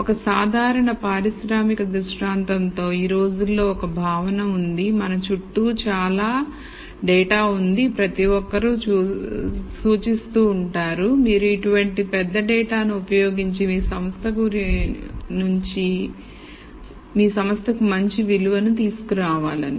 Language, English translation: Telugu, In a typical industrial scenario now a days there is a feeling that there is lots of data that is around and everyone seems to suggest that you should be able to use this kind of big data to derive some value to your organization